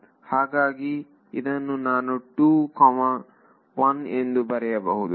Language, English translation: Kannada, So, this I can write as 2 comma 1